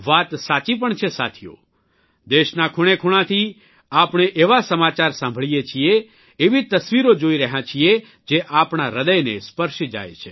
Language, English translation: Gujarati, Friends, it is right, as well…we are getting to hear such news from all corners of the country; we are seeing such pictures that touch our hearts